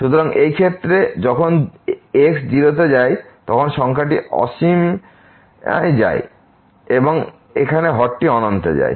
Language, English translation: Bengali, So, in this case when goes to 0 the numerator goes to infinity and also here the denominator goes to infinity